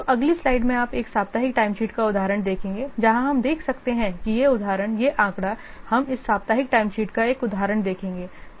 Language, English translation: Hindi, So, in next slide we will see an example of a weekly timesheet where we can see that this example this figure will see an example of this weekly time sheet